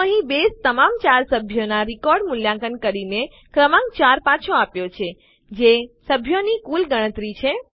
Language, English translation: Gujarati, So here, Base has evaluated all the 4 members records and returned the number 4 which is the total count of members